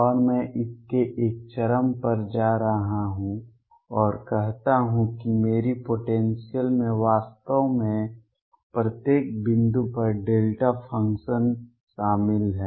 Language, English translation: Hindi, And I am going to take an extreme in this and say that my potential actually consists of delta functions at each point